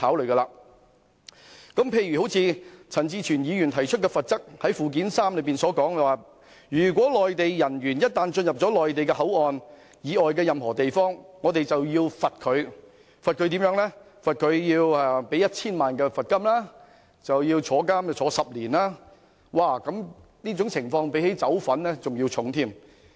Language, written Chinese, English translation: Cantonese, 舉例而言，陳志全議員提出罰則條文，訂明內地人員一旦進入內地口岸區範圍以外的任何地方，即屬犯罪，可處罰款 1,000 萬元及監禁10年，罰則較販毒還要嚴重。, For example Mr CHAN Chi - chuen has proposed penalty provisions stipulating that Mainland officers entering any area outside the Mainland Port Area MPA commit an offence and are liable to a fine of 10,000,000 and to imprisonment for 10 years which are heavier than that for drug trafficking